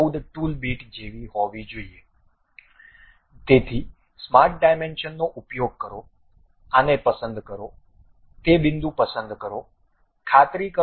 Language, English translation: Gujarati, 14 the tool bit, so use smart dimension pick this one, pick that point, make sure that that will be 1